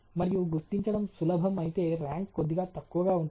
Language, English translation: Telugu, And if it is easy to detect then the rank would be slightly lower